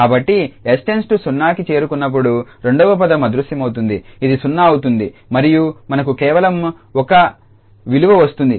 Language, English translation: Telugu, So, the second term will vanish when s approaches to 0, 0 into something finite that will be 0, and we will get just the value 1